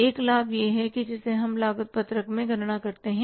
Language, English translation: Hindi, One profit is which we calculate in the cost sheet